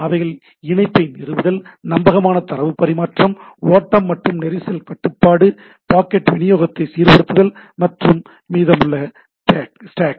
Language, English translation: Tamil, Connection establishment, reliable data transfer, flow and congestion control, order packet delivery and then the rest of the stack